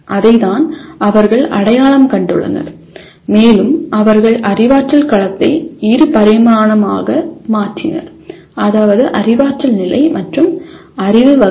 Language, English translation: Tamil, That is what they have identified and they converted cognitive domain into a two dimensional one, namely cognitive level and knowledge categories